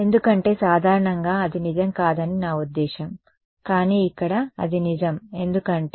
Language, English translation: Telugu, Because, I mean in general that will not be true, but here it is true because